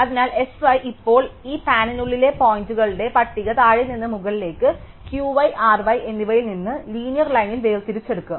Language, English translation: Malayalam, So, S y will now the sorted list of points within this band from bottom to top extracted from Q y and R y in linear line